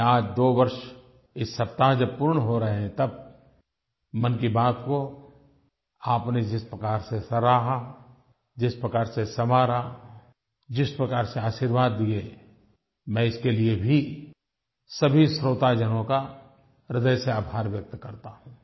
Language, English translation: Hindi, On completion of two years of Mann Ki Baat this week, I wish to express my sincere gratitude from the core of my heart to all you listeners who appreciated it, who contributed to improving it and thus blessed me